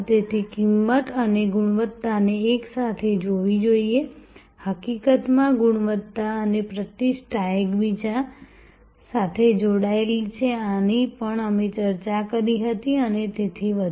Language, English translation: Gujarati, So, price and quality should be seen together, in fact, quality and reputation are quite connected this also we had discussed and so on